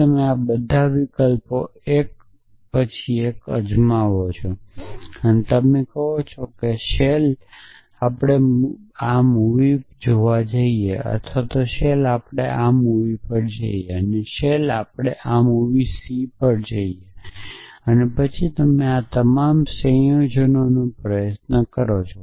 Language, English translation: Gujarati, So, you try all these options 1 by 1 you say shell we go to this movie a or shell we go to this movie b or shell we go to this movie c and then try all combinations of this